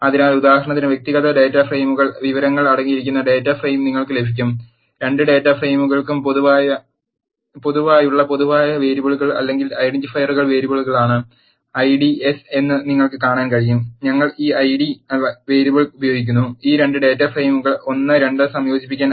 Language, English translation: Malayalam, So, that you will get the data frame which contains information in both the individual data frames for example, you can see the I ds are the common variables or the identifiers variables that are common to both data frames and we are using this Id variable, to combine this 2 data frames 1 and 2